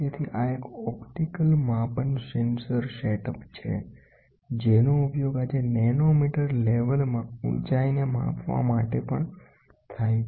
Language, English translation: Gujarati, So, this is an optical measurement sensor setup, which is used today for measuring the height in nanometre level